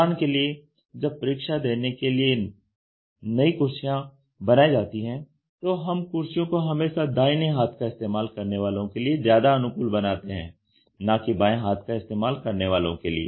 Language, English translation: Hindi, when the chairs are made for the examination, we always try to make it more friendly towards the right hander and not towards the left